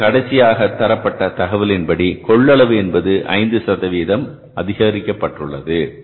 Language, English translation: Tamil, And finally, there is given information to us, there was an increase in the capacity by 5%